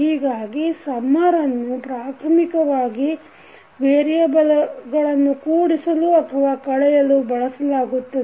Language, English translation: Kannada, So summer is basically used for either adding or subtracting the variables